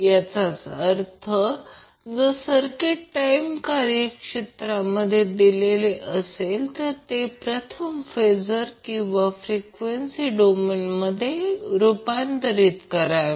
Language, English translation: Marathi, That means if the circuit is given in time domain will first convert the circuit into phasor or frequency domain